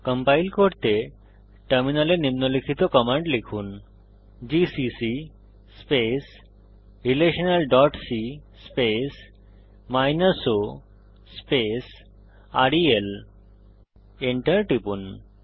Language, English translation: Bengali, To compile, type the following on the terminal gcc space relational dot c space o space rel Press Enter